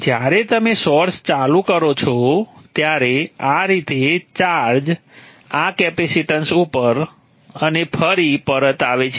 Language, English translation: Gujarati, When you turn off the source will flow through like this charge of the capacitance and back again